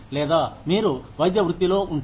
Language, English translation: Telugu, Or, if you are in the medical profession